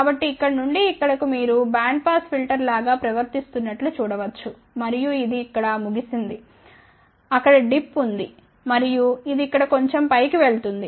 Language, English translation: Telugu, So, from here to here you can see that it is behaving more like a band pass filter and then this is over here there is a dip and it goes up little bit above here